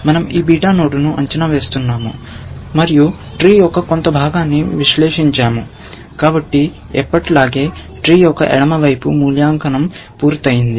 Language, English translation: Telugu, We are evaluating this beta node and you have evaluated some part of the tree; so, always the left side of the tree, you have finished evaluating